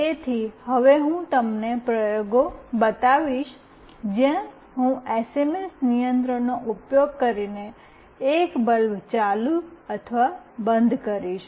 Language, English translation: Gujarati, So, now I will be showing you the experiments, where I will be switching ON and OFF a bulb using SMS control